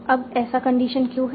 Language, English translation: Hindi, Now why is this condition